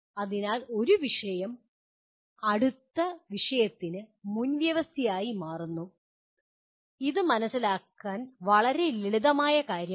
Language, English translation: Malayalam, So one topic becomes a prerequisite to the next one which is a fairly simple thing to understand